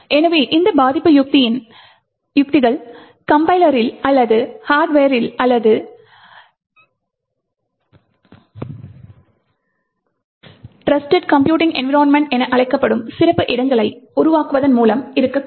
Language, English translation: Tamil, So, these defence strategies could be present either at the Compiler or at the Hardware or by building special enclaves known as Trusted Computing Environments